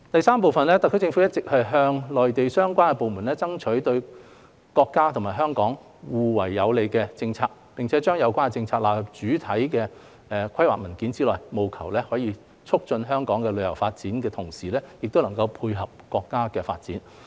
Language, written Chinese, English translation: Cantonese, 三特區政府一直向內地相關部門爭取對國家及香港互為有利的政策，並將有關政策納入主要規劃文件內，務求在促進香港的旅遊發展的同時亦能配合國家的發展。, 3 The SAR Government has all along been seeking from the relevant Mainland departments policies which are mutually beneficial to our country and Hong Kong and to include the relevant policies into major planning documents with a view to enhancing the tourism development of Hong Kong while complementing our countrys developments at the same time